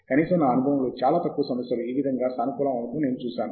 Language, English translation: Telugu, At least in my experience, I have seen very few problems work that way